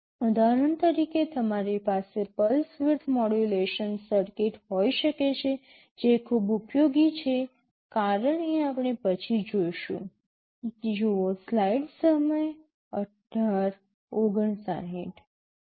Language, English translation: Gujarati, For example, you can have a pulse width modulation circuit which is very useful as we shall see later